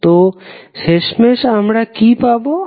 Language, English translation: Bengali, So, finally what we get